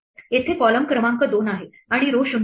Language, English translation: Marathi, Here the column number is 2 and the row is 0